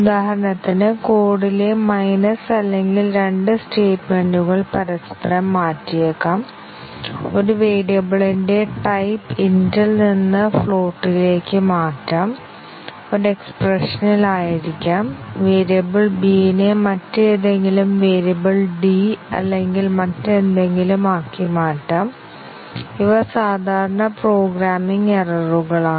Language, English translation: Malayalam, For example, plus to minus or may be interchanging 2 statements in the code, may be changing the type of a variable from int to float, may be in expression, changing a variable b into some other variable d or something; these are typical programming errors